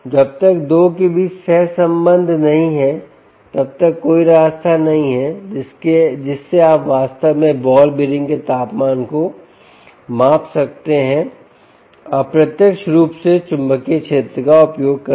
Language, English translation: Hindi, unless there is correlation between the two, there is no way by which you can actually measure the temperature of the ball bearing in directly using ah magnetic field